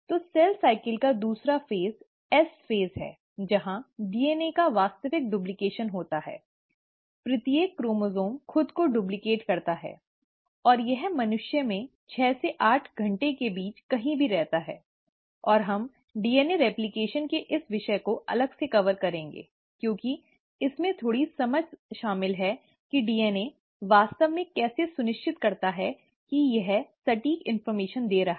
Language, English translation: Hindi, So the second phase of cell cycle is the S phase, where the actual duplication of DNA takes place, each chromosome duplicates itself, and it lasts anywhere between six to eight hours in humans, and we’ll cover this topic of DNA replication separately, because it involves a little bit of understanding of how the DNA actually makes sure, that it is passing on the exact information